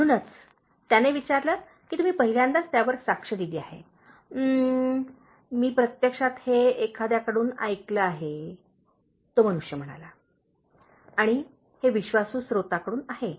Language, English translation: Marathi, So, he asked have you witnessed it on the first hand “Umm…I actually heard it from someone,” the man said, and it is from a trusted source